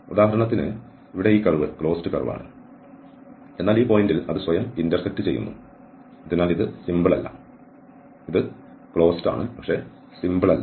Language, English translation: Malayalam, For instance here this curve is closed curve, but it intersect itself at this point and hence this is not a simple, so it is closed, but not simple